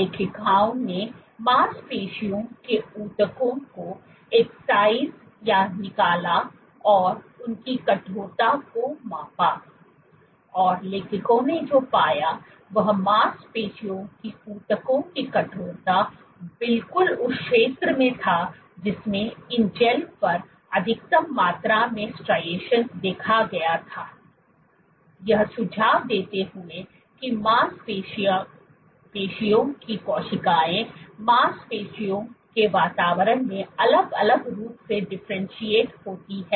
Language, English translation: Hindi, What the authors did was they excise muscle tissue and measured it is stiffness, and what the authors found was the stiffness of muscle tissue was exactly in the zone in which maximum amount of striations was observed on these gels suggesting that muscle cells differentiate optimally on muscle like environments